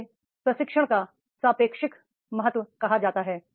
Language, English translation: Hindi, So, this is called the relative importance of the training